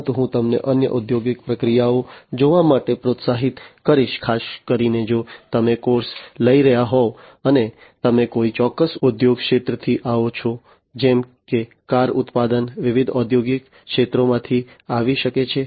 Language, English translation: Gujarati, But, I would also encourage you to look at other industrial processes, particularly if you are, you know, if you are taking a course, and you come from a particular industry sector like car manufacturing could be coming from different are the industrial sectors